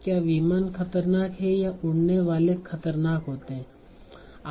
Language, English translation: Hindi, Are the planes dangerous or flying dangerous